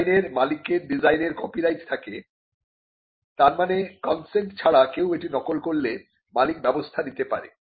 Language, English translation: Bengali, The owner has a copyright in the design, which means the owner can take action against other people who make copies of it without his consent